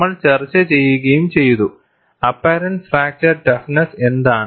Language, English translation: Malayalam, And we have also discussed what is an apparent fracture toughness